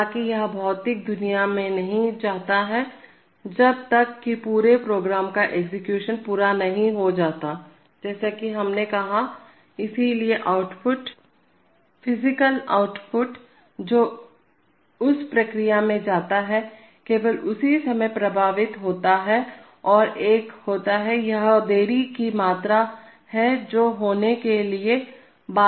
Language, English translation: Hindi, However, it does not go to the physical world till the whole program execution has completed as we have said, so therefore the output, the physical output which goes to the process gets affected only at that time and there is a, this is the amount of delay that is bound to occur